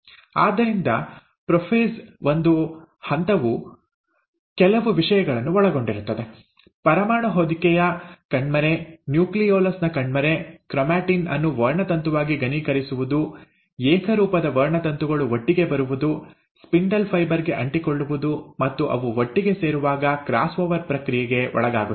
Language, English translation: Kannada, So prophase one involves few things; disappearance of the nuclear envelope, disappearance of the nucleolus, condensation of the chromatin into chromosome, homologous chromosomes coming together, attaching to the spindle fibre, and as they come together, they undergo the process of cross over